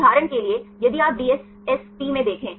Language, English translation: Hindi, For example, if you look into DSSP